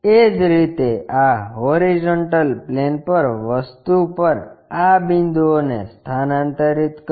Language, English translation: Gujarati, Similarly, transfer these points on this horizontal plane thing